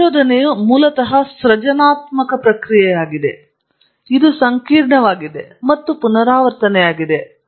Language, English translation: Kannada, Research is basically a creative process; it’s complex and it’s iterative